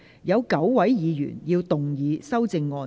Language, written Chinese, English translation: Cantonese, 有9位議員要動議修正案。, Nine Members will move amendments to this motion